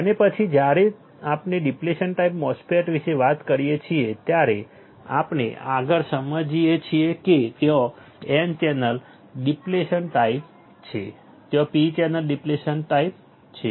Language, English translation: Gujarati, And then when we talk about depletion type, MOSFET then we further understand that there is a n channel depletion type there is p channel depletion type